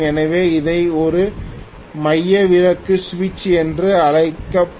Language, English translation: Tamil, So we will call this as a centrifugal switch